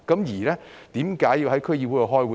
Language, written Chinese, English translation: Cantonese, 為何要在區議會開會？, Why are meetings necessary for DCs?